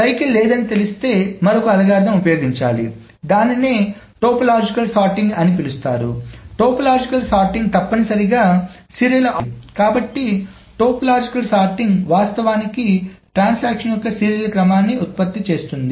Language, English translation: Telugu, So assuming there is no cycle, if one runs another algorithm which is called a topological sorting, the topological sorting will essentially give a serial order, so topological sorting will actually produce a serial order of the transaction